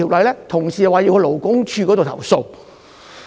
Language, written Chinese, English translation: Cantonese, 有同事表示要向勞工處作出投訴。, Some of my colleagues said that they would complain to the Labour Department